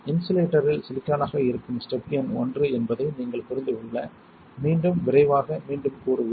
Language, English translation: Tamil, Let us again quickly repeat so that you can understand step number one would be silicon on insulator